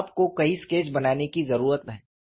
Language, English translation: Hindi, So, you need to make multiple sketches